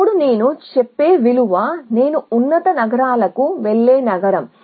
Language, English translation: Telugu, Then the value that I will tell is the city that I will go to from higher cities